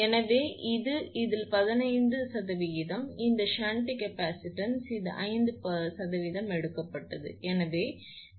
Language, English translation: Tamil, So, this is 15 percent of this one this shunt capacitance, and this one is taken 5 percent, so 0